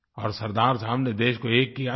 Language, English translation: Hindi, Sardar Saheb unified the country